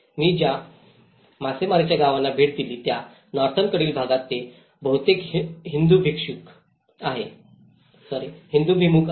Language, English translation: Marathi, In the northern side of the fishing villages which I have visited they are mostly Hindu oriented